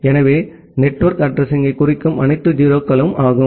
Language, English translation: Tamil, So, all 0’s which is to denote the network address